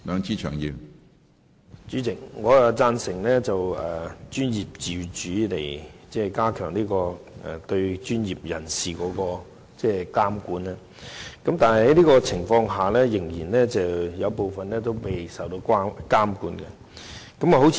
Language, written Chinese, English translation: Cantonese, 主席，我贊成透過專業自主以加強對專業人士的監管，但觀乎現時的情況，卻仍有部分專業未受到監管。, President I agree that the supervision of professionals can be enhanced through professional autonomy but judging from the present situation some disciplines are currently not subject to any regulation